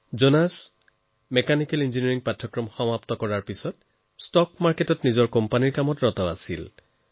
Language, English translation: Assamese, Jonas, after studying Mechanical Engineering worked in his stock market company